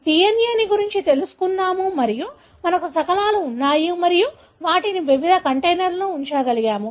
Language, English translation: Telugu, We have digested the DNA and we have fragments and we are able to put them in different containers